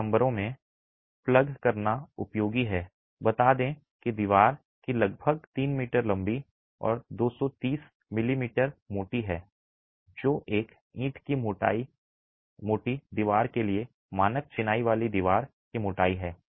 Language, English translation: Hindi, It's useful to plug in some numbers, let's say the wall is about 3 meters long and about 230 m m thick which is a standard masonry wall thickness for a one brick thick wall